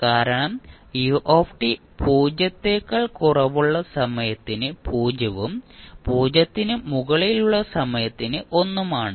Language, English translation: Malayalam, Why because ut is 0 for time less than 0 and 1 for time t greater than 0